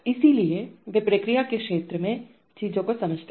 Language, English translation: Hindi, So they understand things in the domain of the process